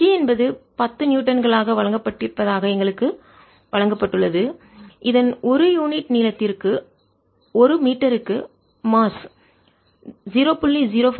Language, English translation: Tamil, as t is given to be ten newtons, i forgot to mention mass per unit length of this is given to be point zero, five kilograms per meter